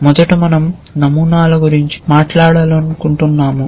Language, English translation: Telugu, First we want to talk about patterns